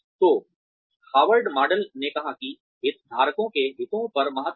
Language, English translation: Hindi, So, Harvard model said that, emphasized on the interests of the stakeholders